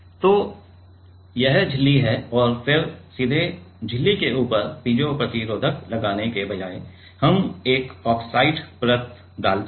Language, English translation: Hindi, So, this is the membrane this is the membrane and then rather than putting the piezo resistor on top of the membrane directly we put a oxide layer